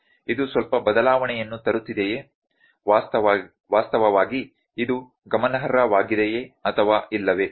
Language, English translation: Kannada, Is it bringing some change, actually is it significant or not